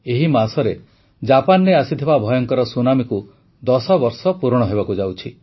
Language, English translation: Odia, This month it is going to be 10 years since the horrifying tsunami that hit Japan